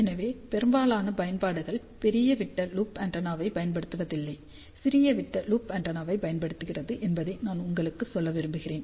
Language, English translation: Tamil, So, I just want to tell you majority of the applications do not use large diameter loop antenna the invariably use small diameter loop antenna